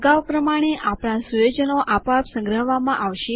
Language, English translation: Gujarati, As before, our settings will be saved automatically